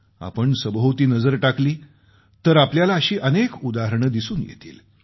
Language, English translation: Marathi, If we look around, we can see many such examples